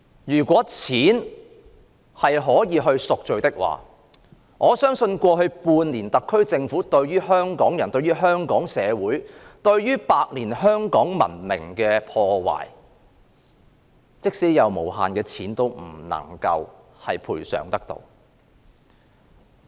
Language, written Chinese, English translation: Cantonese, 如果錢可以贖罪，我相信過去半年特區政府對於香港人、香港社會和百年香港文明的破壞，即使有無限的錢，也不能賠償得到。, Even if sins can be atoned with money I believe that money no matter how much there is cannot compensate for the damage the SAR Government has inflicted over the past half year on Hong Kong people Hong Kong society and Hong Kongs century - old civilization